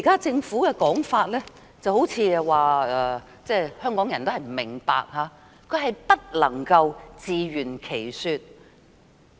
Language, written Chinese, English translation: Cantonese, 政府現時的說法，好像都是說香港人不明白，根本無法自圓其說。, What the Governments claim now seems to suggest that Hongkongers do not understand it but the Government cannot justify itself at all